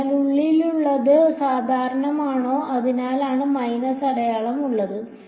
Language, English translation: Malayalam, So, n is the inward normal that is why there is minus sign